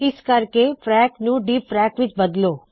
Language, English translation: Punjabi, In view of this, let us change frac to dfrac